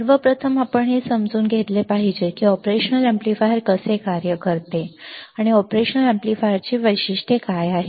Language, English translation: Marathi, First of all, we should understand how the operational amplifier works, and what are the characteristics of the operational amplifier